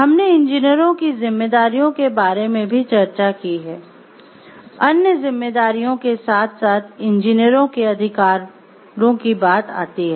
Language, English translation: Hindi, We have discussed about the responsibilities of the engineers, hand in hand with the responsibilities comes the rights of engineers